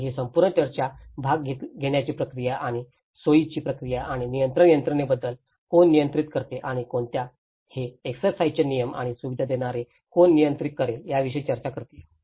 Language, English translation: Marathi, And this whole discussions talks about the participation process and the facilitation process and also the control mechanisms, who controls what and this is what who will control the rules of the exercise and the facilitators